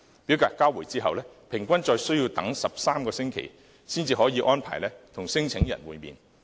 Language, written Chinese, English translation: Cantonese, 表格交回後，平均再需要等13個星期，才可以安排與聲請申請人會面。, After filing the claim form non - refoulement claimants have to wait for 13 weeks on average before a meeting can be arranged with them